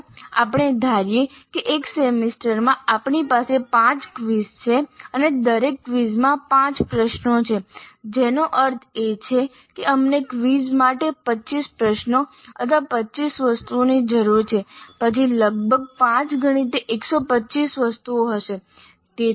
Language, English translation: Gujarati, So, if you assume that in a semester we are having 5 quizzes, 5 quizzes in the semester and each quiz has 5 questions, that means that totally we need 25 questions or 25 items for quizzes